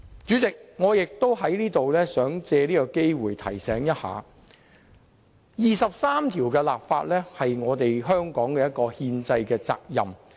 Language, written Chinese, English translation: Cantonese, 主席，我也想藉此機會提醒大家，就《基本法》第二十三條立法是香港的憲制責任。, President I would also like to take this opportunity to remind Members that legislation for Article 23 of the Basic Law is a constitutional responsibility of Hong Kong